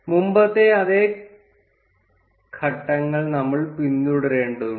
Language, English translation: Malayalam, We would need to follow the same steps as before